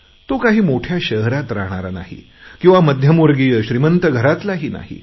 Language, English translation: Marathi, He is not from a big city, he does not come from a middle class or rich family